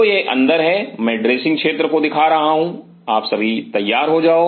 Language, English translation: Hindi, So, this is in lu I am showing the dressing area you get all dressed up